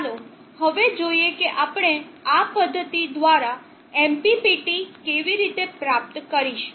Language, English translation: Gujarati, Let us now see how we go about achieving MPPT all through this method